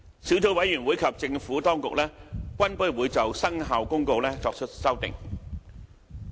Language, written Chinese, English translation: Cantonese, 小組委員會及政府當局均不會就《生效公告》作出修訂。, No amendments will be made to the Commencement Notice by the Subcommittee and the Administration